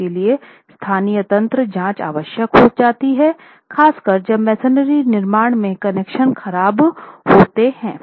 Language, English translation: Hindi, So, local mechanism check becomes necessary, particularly when connections are poor in masonry constructions